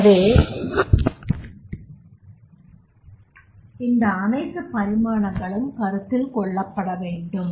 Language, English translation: Tamil, So all these dimensions that is required to be consideration in this particular context